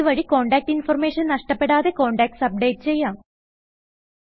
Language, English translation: Malayalam, This way we can update the contacts without losing contact information